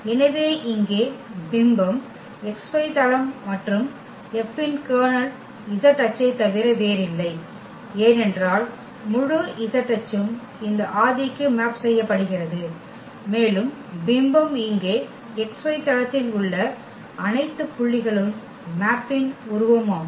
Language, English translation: Tamil, So, here the image is the xy plane and the kernel of F is nothing but the z axis because the whole z axis is mapping to this origin and the image means here that all the points in xy plane that is the image of this mapping